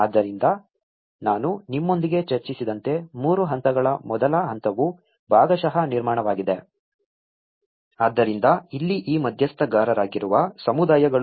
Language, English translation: Kannada, So, as I discussed with you about 3 stages stage one which is a partial construction so here, the communities who are these stakeholders